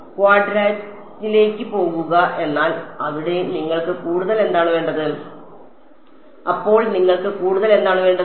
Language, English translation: Malayalam, Go to quadratic, but what you need more there I mean what more do you need then